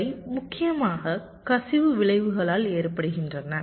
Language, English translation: Tamil, these occur mainly due to the leakage effects